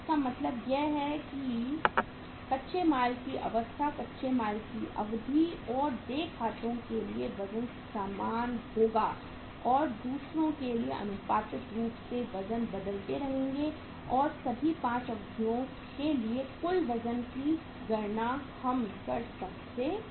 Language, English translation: Hindi, So it means weight for the raw material stage, raw material duration and for the accounts payable will be the same and for the others proportionately the weights keep on changing and the total weights for all the 5 durations we can calculate